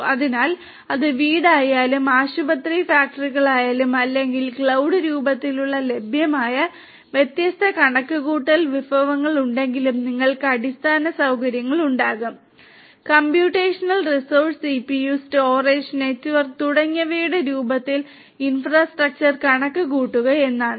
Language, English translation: Malayalam, So, you know whether it is home, hospitals factories or whatever there are different computational resources available in the form of cloud and you will have infrastructure; that means computing infrastructure in the form of computational resources CPU, storage, network and so on